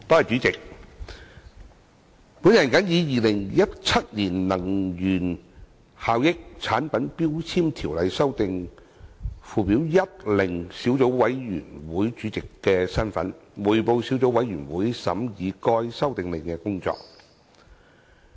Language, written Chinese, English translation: Cantonese, 主席，本人謹以《2017年能源效益條例令》小組委員會主席的身份，匯報小組委員會審議該《修訂令》的工作。, President in my capacity as Chairman of the Subcommittee on Energy Efficiency Ordinance Order 2017 I report the deliberations of the Subcommittee on the Amendment Order